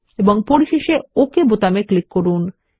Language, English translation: Bengali, And finally click on the OK button